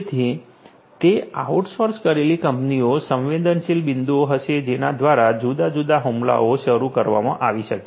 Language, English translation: Gujarati, So, those out sourced firms will be vulnerable points through which different attacks might be launched